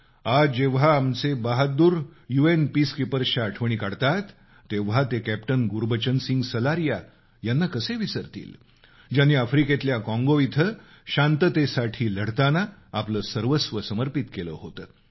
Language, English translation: Marathi, While remembering our brave UN Peacekeepers today, who can forget the sacrifice of Captain Gurbachan Singh Salaria who laid down his life while fighting in Congo in Africa